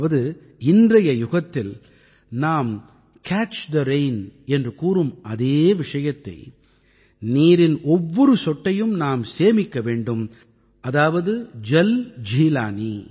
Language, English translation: Tamil, This means, it is synonymous with what we term as 'Catch the Rain' in today's times…accumulating each and every drop of water…Jaljeelani